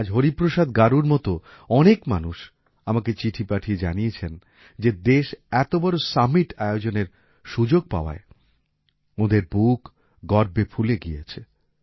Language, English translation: Bengali, Today, many people like Hariprasad Garu have sent letters to me saying that their hearts have swelled with pride at the country hosting such a big summit